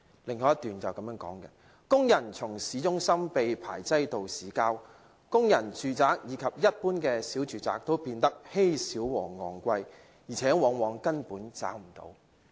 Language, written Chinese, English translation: Cantonese, "以下是另一段："工人從市中心被排擠到市郊；工人住宅以及一般小住宅都變得稀少和昂貴，而且往往根本找不到"。, The following is from another paragraph Workers have been crowded out from downtown to suburban areas; the flats for workers or ordinary small households have become scarce and expensive; and very often they are not even available